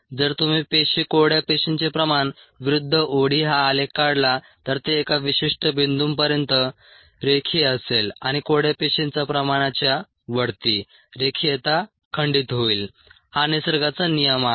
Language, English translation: Marathi, if you plot cell dry cell concentration versus o d, it is going to be linear till a certain point and above a certain dry cell concentration the linearity is going to break down